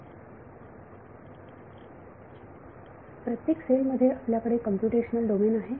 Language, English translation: Marathi, Every cell we have computational domain